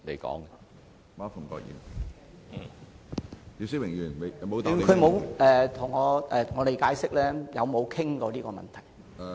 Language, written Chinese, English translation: Cantonese, 局長沒有向我們解釋有否討論過這個問題？, The Secretary has not explained to us whether the issue has been discussed